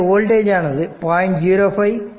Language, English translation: Tamil, So, it is basically 0